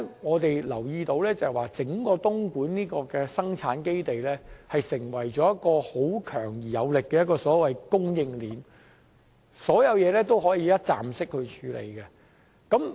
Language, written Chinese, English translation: Cantonese, 我們留意到，整個東莞生產基地是一條強而有力的供應鏈，所有事情也可以一站式處理。, So this production base in Dongguan is basically a strong supply chain with one - stop handling for everything